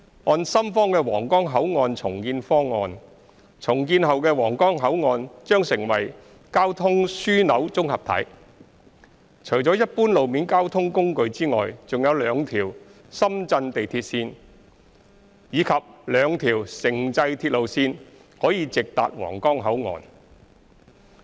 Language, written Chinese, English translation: Cantonese, 按深方的皇崗口岸重建方案，重建後的皇崗口岸將成為交通樞紐綜合體，除了一般路面交通工具外，還有兩條深圳地鐵線及兩條城際鐵路線可直達皇崗口岸。, According to Shenzhens redevelopment plan of the Huanggang Port the redeveloped Huanggang Port will become a transport hub . The Huanggang Port could be directly accessed via common road vehicles in addition to two Shenzhen Metro and two intercity railway lines